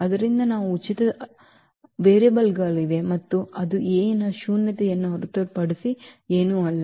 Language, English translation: Kannada, So, they will be free variables and that is nothing but the nullity of A